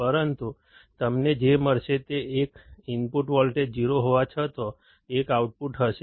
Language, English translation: Gujarati, But what you will find is that even though the input voltage is 0, there will be an output